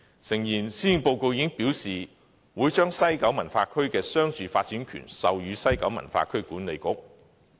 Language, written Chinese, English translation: Cantonese, 誠然，施政報告已經表示會將西九文化區的商住發展權授予西九文化區管理局。, Indeed the Policy Address has specified the granting of development rights of the commercial and residential portion of the West Kowloon Cultural District WKCD to the West Kowloon Cultural District Authority